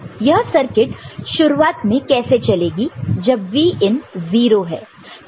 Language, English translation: Hindi, So, how this circuit will work right in the beginning when Vin is 0 ok